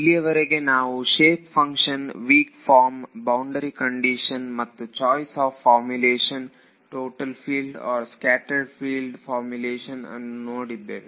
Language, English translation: Kannada, So, so far we have looked at shape functions, weak form, boundary conditions and choice of formulation total field or scattered field formulation